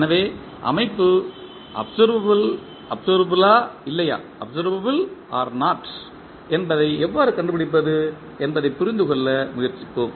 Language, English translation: Tamil, So, let us try to understand how to find out whether the system is observable or not